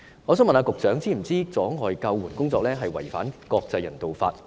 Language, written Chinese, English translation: Cantonese, 我想問局長是否知道阻礙救援工作違反國際人道法？, I would like to ask the Secretary Does he know that obstructing rescue work violates international humanitarian law?